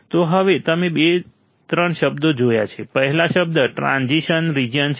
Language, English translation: Gujarati, So, now you have seen two three words, first word is transition region